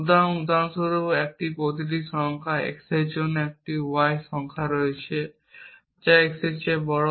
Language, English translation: Bengali, So, for example, for every number x there exist a number y which is bigger than x